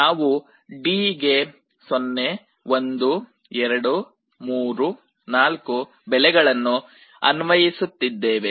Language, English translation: Kannada, So, in D we are applying 0, 1, 2, ,3 4